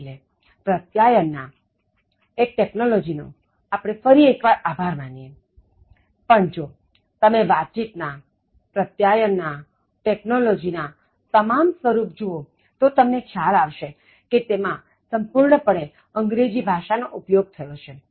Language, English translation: Gujarati, So, thanks to communication, thanks to technology again, but if you look at all forms of communication and technology, it is completely underlined, underscored by the use of English language